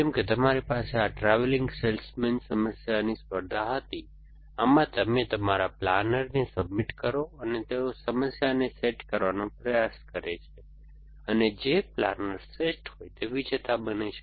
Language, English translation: Gujarati, So, just like you had this travelling salesman problem competition, in this you submit your planner and they try it out to set up problem and then the planner which was best is does the to be the winner